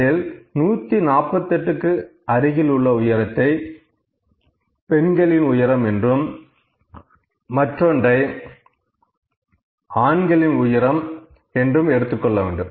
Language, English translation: Tamil, I have 150 and 160 here then I can say that one height for the women would be close this to here 148 and height for the men would be here